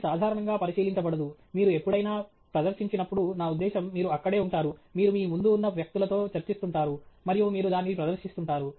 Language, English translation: Telugu, It’s not peer reviewed in general, any time you present it, I mean, you are just there, you are discussing with people in front of you, and you are presenting it